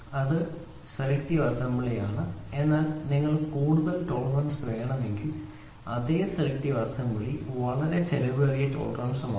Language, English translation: Malayalam, So, this is selective assembly, but if you want to have a tighter tolerance the same selective assembly is very expensive tolerance